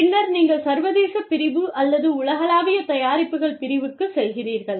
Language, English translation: Tamil, Then, you move on to, international division or global products division